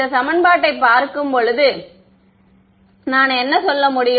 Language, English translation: Tamil, But, can I say that while looking at this equation